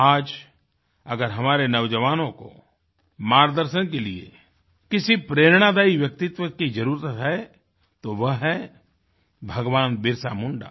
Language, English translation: Hindi, Today, if an inspiring personality is required for ably guiding our youth, it certainly is that of BhagwanBirsaMunda